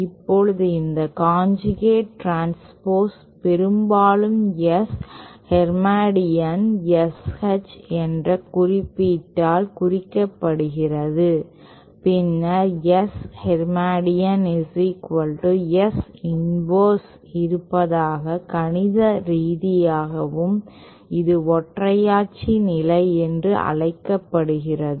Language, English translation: Tamil, Now this conjugate transpose is often represented by this symbol S hermatian SH, then S hermatian being equal to S inverse is also mathematically this is known as the unitary condition